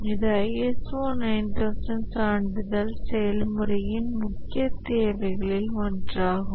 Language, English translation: Tamil, This is one of the major requirements of the ISA 9,000 certification process